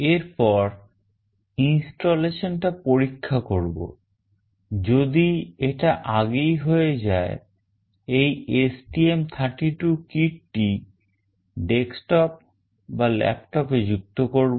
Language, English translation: Bengali, Next checking the installation; once it is already done connect this STM32 kit to the desktop or laptop